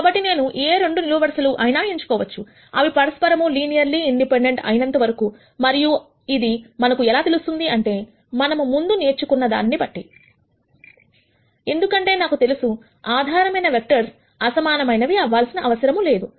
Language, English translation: Telugu, So, I can choose any 2 columns, as long as they are linearly independent of each other and this is something that we know, from what we have learned before, because we already know that the basis vectors need not be unique